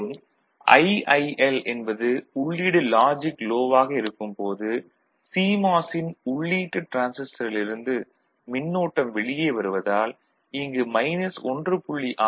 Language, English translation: Tamil, So, that is why it is told positive and IIL when input is at logic load right the current it is coming out of the input transistor of the CMOS is of this minus 1